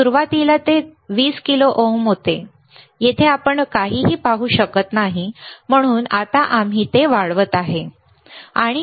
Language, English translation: Marathi, Initially it was 20 kilo ohm, here you cannot see anything so now, we are increasing it, right